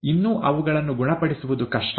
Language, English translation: Kannada, It is rather difficult to cure them as yet